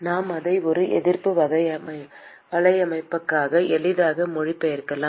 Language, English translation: Tamil, We can easily translate it into a resistance network